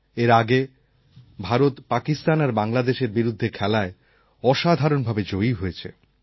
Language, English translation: Bengali, Some days ago India won two fine matches against Pakistan and Bangladesh